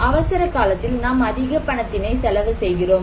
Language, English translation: Tamil, Whereas, during the emergency, we are spending a lot more money